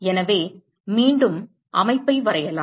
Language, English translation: Tamil, So, let me draw the system again